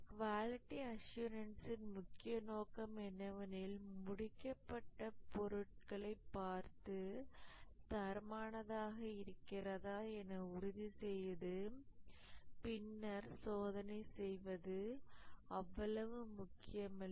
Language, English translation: Tamil, The main assumption in quality assurance is that to produce quality product, looking at the finished product and then doing testing is not that important